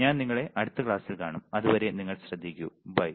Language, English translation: Malayalam, With that I will see you in the next class till then you take care, bye